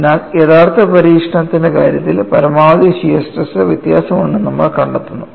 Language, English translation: Malayalam, So, in the case of actual experimentation, you find there is a variation of maximum shear stress, so this needs to be explained